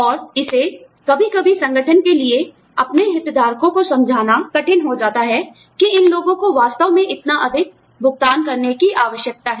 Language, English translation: Hindi, And, it becomes, sometimes, it becomes hard for the organization, to convince its stakeholders, that these people actually need to be paid, that much salary